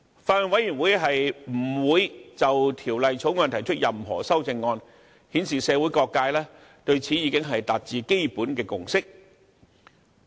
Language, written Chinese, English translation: Cantonese, 法案委員會不會就《條例草案》提出任何修正案，顯示社會各界對此已經達致基本的共識。, The Bills Committee will not propose any amendment to the Bill a sign that various sectors of society have reached a fundamental consensus